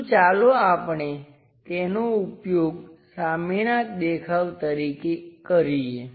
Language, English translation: Gujarati, So, let us use that one as the front view